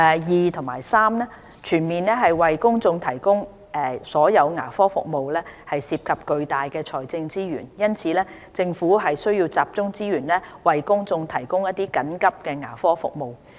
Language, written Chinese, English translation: Cantonese, 二及三全面為公眾提供所有牙科服務涉及巨大的財政資源，因此，政府須集中資源為公眾提供緊急牙科服務。, 2 and 3 As providing comprehensive dental services for the public would require a substantial amount of financial resources it is necessary for the Government to focus resources on providing emergency dental services for the public